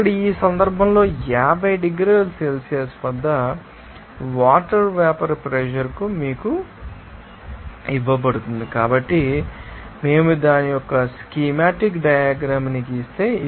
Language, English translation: Telugu, Here in this case vapor pressure of the water at 50 degrees Celsius is given to you so, if we draw this, you know, a schematic diagram of this